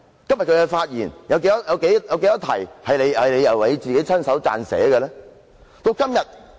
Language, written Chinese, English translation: Cantonese, 今天的發言有多少篇幅是你自己親手撰寫的？, How many speeches delivered today has been written by you?